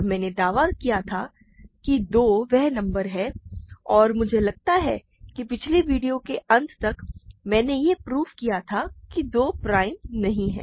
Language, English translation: Hindi, And I claimed that 2 will do the job for us and I think in the end, by the end of the last video I proved that 2 is not prime